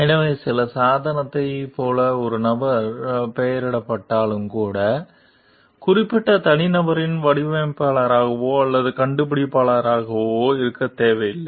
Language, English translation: Tamil, So, even when like some device is named for a person; the particular individual need not be the designer or the inventor